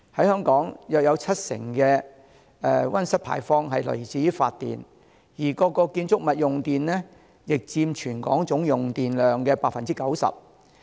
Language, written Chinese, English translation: Cantonese, 香港約有七成的溫室氣體排放來自發電，而各建築物用電佔全港總用電量的 90%。, Some 70 % of greenhouse gas emissions in Hong Kong come from electricity generation and electricity consumption of buildings accounts for 90 % of Hong Kongs total electricity consumption